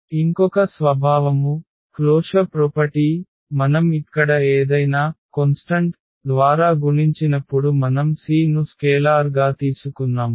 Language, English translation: Telugu, And another property the closure property what we check when we multiply by any constant any scalar like here we have taken the c as a scalar